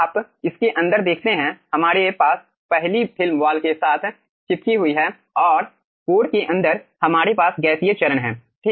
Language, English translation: Hindi, you see, inside this we are having first film added with wall and inside the core we are having gaseous phase